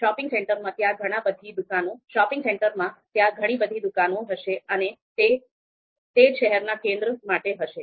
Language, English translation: Gujarati, In the shopping center, there would be a number of shops there, you know same goes for city center